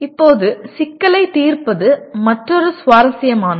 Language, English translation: Tamil, Now problem solving is another interesting one